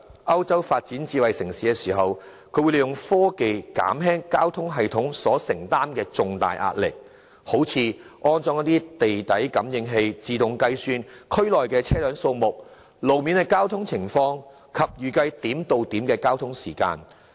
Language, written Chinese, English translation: Cantonese, 歐洲發展智慧城市時，會利用科技減輕交通系統所承擔的重大壓力，例如安裝地底感應器自動計算區內的車輛數目、路面交通情況及預計點對點的交通時間等。, In developing smart cities European countries will make use of technologies to mitigate the huge pressure borne by traffic systems such as by installing underground sensors to facilitate automatic calculation of vehicle volume within a certain district record road traffic conditions and estimate the time required for point - to - point transport